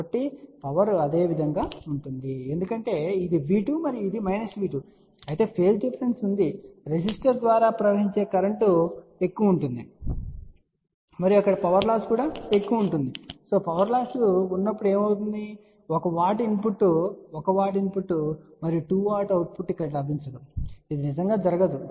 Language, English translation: Telugu, So, power remains same but because now there is a phase differenceif this is V 2 and this is minus V 2, you can now see that there will be a large current flowing through the resistor and there will be a huge power loss and when there is a power loss you won't get 1 watt input 1 watt input and 2 watt output over here it won't really happen ok